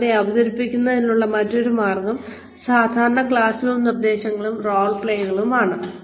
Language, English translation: Malayalam, And, another way of presenting is, the typical classroom instruction and role plays